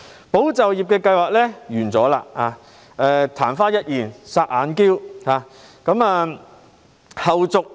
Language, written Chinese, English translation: Cantonese, "保就業"計劃已結束，曇花一現，"霎眼嬌"。, The Employment Support Scheme is over in the blink of an eye